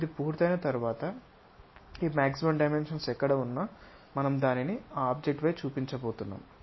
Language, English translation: Telugu, Once it is done wherever we will feel these maximum dimensions that maximum dimensions we are going to show it on that object